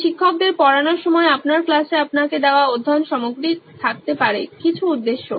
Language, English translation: Bengali, So there might be study material given to you in your class while teacher is teaching, some purpose